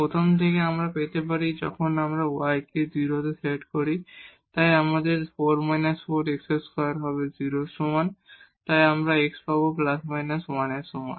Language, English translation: Bengali, From the first now we can get when we set y to 0 here, so we will have 4 minus this 4 x square is equal to 0, so we will get x is equal to plus minus 1